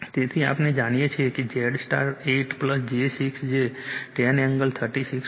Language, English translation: Gujarati, So, , we know Z star 8 plus j 6 will 10 angle thirty 6